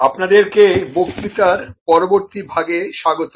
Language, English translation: Bengali, So welcome back to the next part of the lecture